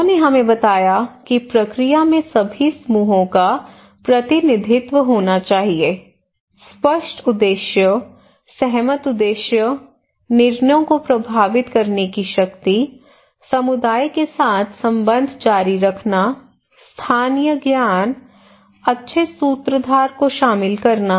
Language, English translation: Hindi, And you can see what people told us they said that process there should be representation of all groups, clear objectives, agreed objectives, power to influence decisions, continued relation with the community, incorporating local knowledge, good facilitator